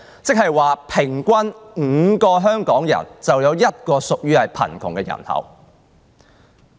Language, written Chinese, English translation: Cantonese, 換言之，平均每5個香港人，便有一人屬於貧窮人口。, In other words for every five persons in Hong Kong one lives in poverty